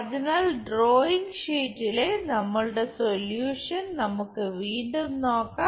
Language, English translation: Malayalam, So, let us look at the solution on our drawing sheet